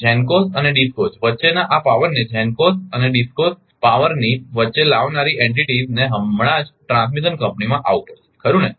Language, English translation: Gujarati, The entities that will wheel this power between GENCOs and DISCOs that is between GENCOs and DISCOs power has to come to transmission company right